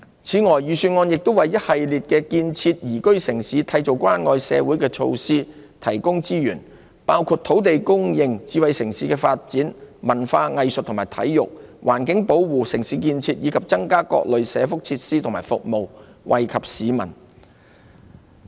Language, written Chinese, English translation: Cantonese, 此外，預算案亦為一系列建設宜居城市、締造關愛社會的措施提供資源，包括土地供應、智慧城市發展、文化藝術及體育、環境保護、城市建設，以及增加各類社福設施和服務，惠及市民。, Moreover resources have also been allocated in the Budget for a series of measures aimed at building a livable city and fostering a caring society which span land supply smart city development arts culture and sports environmental protection and building the city . Enhancement will also be made of various welfare facilities and services for the public benefit